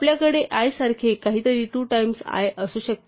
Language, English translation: Marathi, So, we might have something like i is equal to two times i